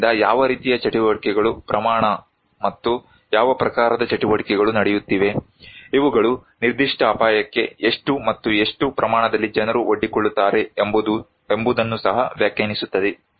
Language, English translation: Kannada, So what kind of activities, amount and type of activities are going so, these also defined that how many and what extent people are exposed to a particular hazard